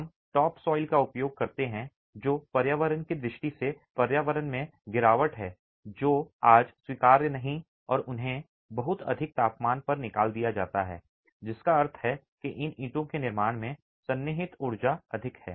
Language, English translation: Hindi, We use top soil which is environmentally degradation in the environment which is today not acceptable and they are fired at very high temperatures which means that the embodied energy in manufacturing these bricks is rather high